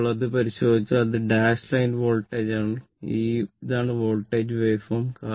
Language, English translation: Malayalam, Now, if you look into this, that this is my this dash line is the voltage, this is the voltage waveform